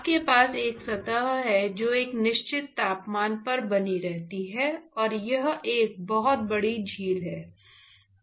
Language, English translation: Hindi, You have one surface which is maintained at a certain temperature, and lake is a pretty big lake